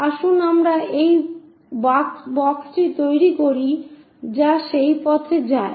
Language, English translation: Bengali, So, let us construct a box which goes in that way